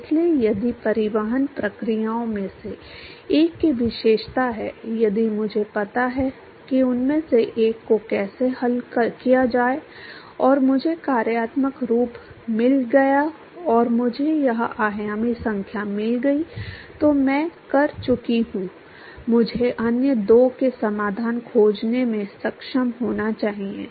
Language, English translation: Hindi, So, if one of the transport processes is characterized if I know how to solve one of them and I found the functional form and I found this dimensional numbers then I am done I should be able to find the solutions for the other two